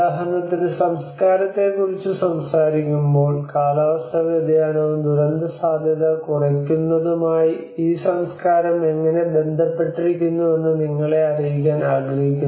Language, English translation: Malayalam, Like for instance, we are also I want to bring you that when we talk about culture you know how this culture is related to climate change and disaster risk reduction